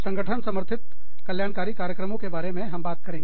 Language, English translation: Hindi, Organizationally supported wellness programs